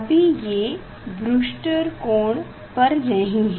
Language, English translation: Hindi, now it is not at Brewster s angle